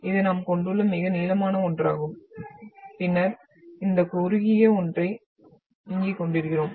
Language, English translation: Tamil, So this is the longest one we are having and then we are having this shortest one here